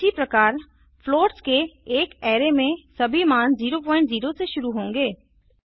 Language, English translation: Hindi, Similarly an array of floats will have all its values initialized to 0.0